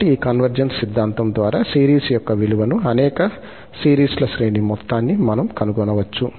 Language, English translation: Telugu, So, by this convergence theorem, we can find the value of series, the sum of the series for many series